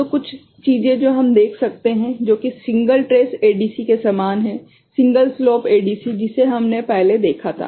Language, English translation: Hindi, So, certain things we can see which in the which is similar to you know single trace ADC, single slope ADC that we had seen before